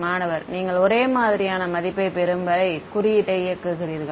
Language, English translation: Tamil, And you keep running the code until you get a similar values